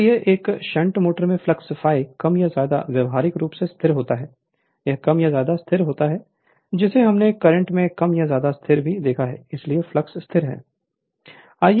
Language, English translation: Hindi, Therefore, in a shunt motor the flux phi is more or less practically constant it is more or less constant that we have seen also field current more or less constant, so flux constant, so flux is a constant